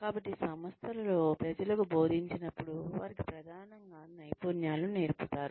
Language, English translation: Telugu, So, when people are taught in organizations, they are taught primarily, they are taught skills